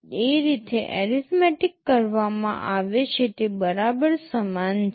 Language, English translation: Gujarati, The way the arithmetic is carried out is exactly identical